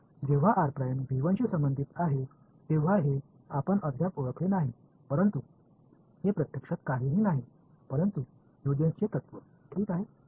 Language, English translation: Marathi, So, when r prime belongs to v 1 you do not recognize it yet, but this is actually nothing, but Huygens’s principle ok